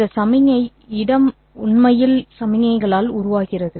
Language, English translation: Tamil, This signal space is actually formed by signals